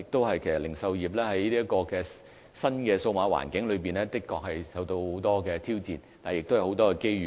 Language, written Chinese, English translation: Cantonese, 其實零售業在新數碼環境中，確實受到很多的挑戰，但亦有很多機遇。, The retail industry is indeed facing with many challenges in the new digital environment but there are also many opportunities available